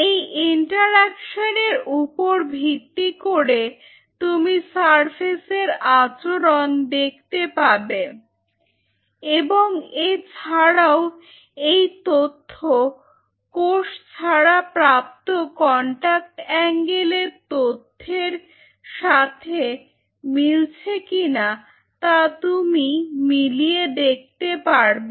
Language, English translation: Bengali, Now based on this interaction you can see how the surface is behaving or this does this data matches with your contact angle data which was done without the cell